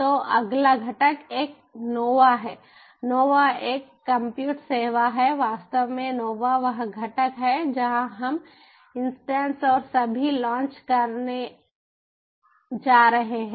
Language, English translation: Hindi, actually, nova is the component where we are going to launch the instances and all so